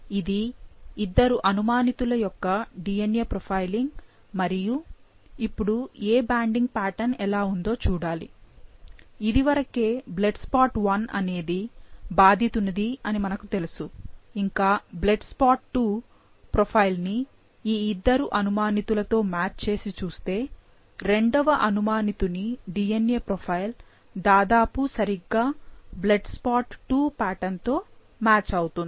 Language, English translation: Telugu, So, this is the DNA profile of the two suspects and now we have to see that which banding pattern looks, blood spot 1 is already of the victim, so we have to match the blood spot 2 profile with these two suspects and we see that the suspect 2 DNA profile matches almost exactly to the blood spot 2 pattern, which tells us that suspect 1 is innocent and 2 is the one, who committed the crime